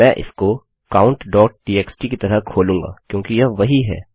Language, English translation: Hindi, Ill open that as count.txt because thats what it is